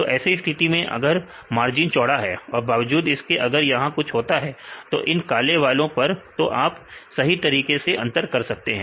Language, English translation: Hindi, So, in case if the margin is wide then even if you something happens here or here; in this black ones, then you can discriminate correctly